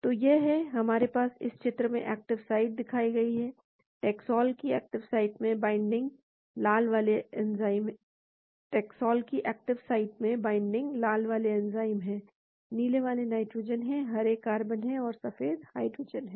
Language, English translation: Hindi, So, this is; we have the active site shown in this picture, taxol binding in the active site , the red ones are oxygen, blue ones are nitrogen, green are carbon and whites are hydrogen